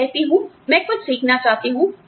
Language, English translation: Hindi, I say, I want to learn something